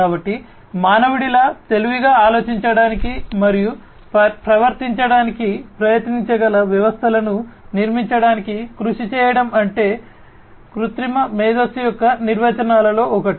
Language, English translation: Telugu, So, striving to build systems which can try to intelligently think and behave like human beings is what one of the definitions of artificial intelligence says